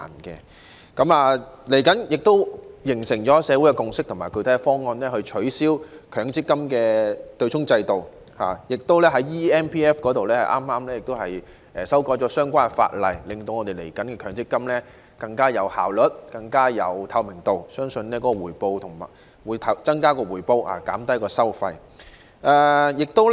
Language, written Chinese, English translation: Cantonese, 社會亦形成共識及具體方案，取消強制性公積金的對沖制度，而有關"積金易"平台的相關法例亦已修訂，令往後的強積金制度的運作更有效率和更具透明度，我相信亦可增加回報及減低收費。, Besides the relevant legislation on the eMPF Platform has likewise been amended . As a result the operation of the MPF system will become more efficient and transparent in the future . I also believe all this can increase returns and bring down the relevant fees